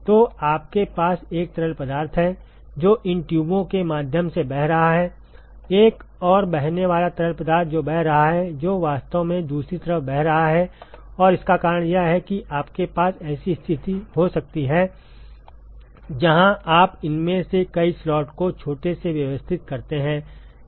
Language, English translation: Hindi, So, you have one fluid, which is flowing through these tube, another flowing fluid which is flowing, which is actually flowing to the other side and the reason why it is compact is you can have a situation where you arrange several of these slots tiny ones and pack them all together